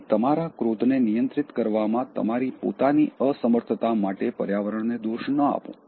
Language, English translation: Gujarati, So, don’t blame the environment for your own inability to control your anger